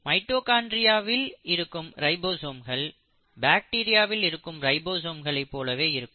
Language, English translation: Tamil, But this ribosome in mitochondria is similar to the ribosome of bacteria while this ribosome is different